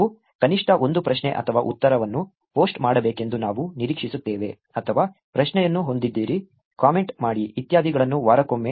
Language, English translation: Kannada, We expect you to actually post at least one question or answer or have a question, make comment, etcetera once per week